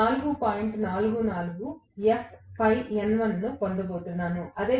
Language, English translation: Telugu, and so on and so forth